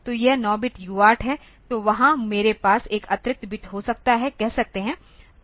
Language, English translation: Hindi, So, this 9 bit UART; so, there I can have say one extra bit there and then we say